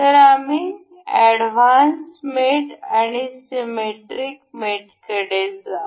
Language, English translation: Marathi, So, we will go to advanced, then the symmetric